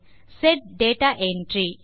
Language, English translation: Tamil, Set data entry